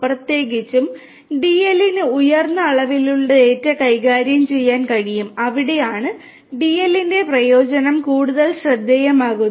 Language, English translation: Malayalam, Particularly you know DL is able to deal with high dimensional data and that is where also you know DL becomes much more the use utility of DL becomes much more eminent